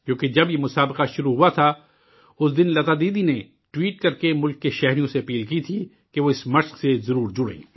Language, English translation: Urdu, Because on the day that this competition had started, Lata Didi had urged the countrymen by tweeting that they must join this endeavour